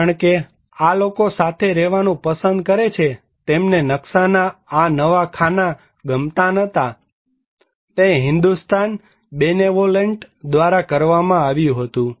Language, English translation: Gujarati, Because, these people preferred to live together, they did not like this new iron grid pattern of layout, it was done by the Hindustan Benevolent